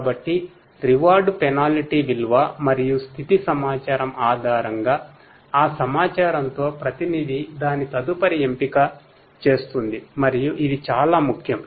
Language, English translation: Telugu, So, with that information based on the reward penalty value and the state information the agent makes its next choice and this is very important